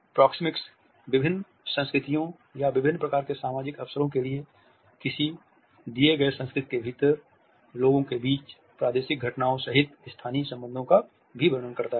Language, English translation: Hindi, Proxemics also describe characteristic, spatial relationships including territorial phenomena among persons in various cultures or within a given culture for different kinds of social occasions